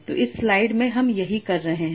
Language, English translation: Hindi, So that's what you were saying in this slide